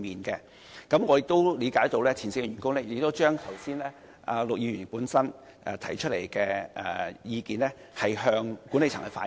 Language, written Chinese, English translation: Cantonese, 據我了解，前線員工已將陸議員剛才提出的意見向管理層反映。, As far as I know the frontline staff have already reflected to the management the views put forth by Mr LUK just now